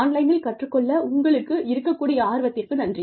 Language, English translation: Tamil, Thanks to you, and your interest in learning something, online